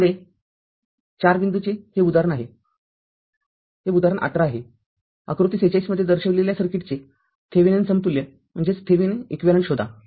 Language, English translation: Marathi, Next is your 4 point that example 18, the find the Thevenin equivalent of the circuit shown in figure 46